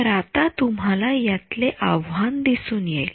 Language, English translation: Marathi, So, you see the challenge now